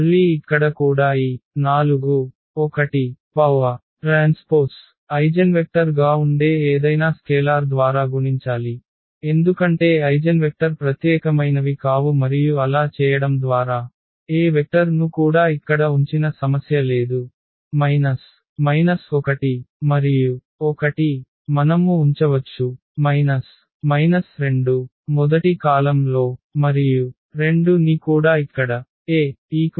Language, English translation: Telugu, Again here also this 4 1 we can multiply by any scalar that will also be the eigenvector, because eigenvectors are not unique and by doing so, also there is no problem we can keep any vector here not only minus 1 and 1, we can also place for example, minus 2 and 2 here in the first column